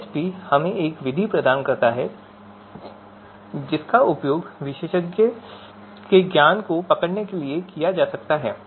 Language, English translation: Hindi, So the AHP provides us a method you know, that can be used to capture you know the expert’s knowledge